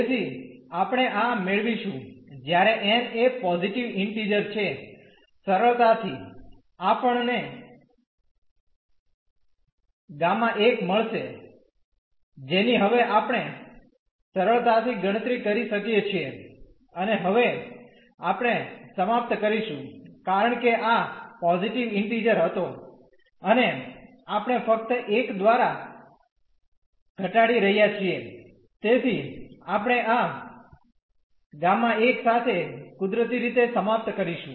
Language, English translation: Gujarati, So, we will get this when n is a positive integer the simplification we will get that the gamma 1 we can easily compute now and now we will end up with because this was a positive integer and we are just reducing by 1, so, we will end up with this gamma 1 naturally